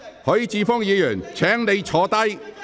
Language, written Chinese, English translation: Cantonese, 許智峯議員，請發言。, Mr HUI Chi - fung please speak